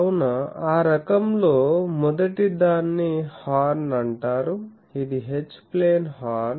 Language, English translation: Telugu, So, the first of that type is called a Horn, which is a H plane Horn